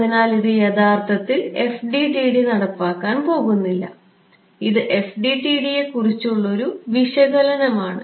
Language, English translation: Malayalam, So, this is actually not what the FDTD is going to implement, this is an analysis of the FDTD yeah